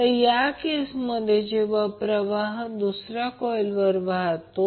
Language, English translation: Marathi, Now similarly in this case when the current is flowing in second coil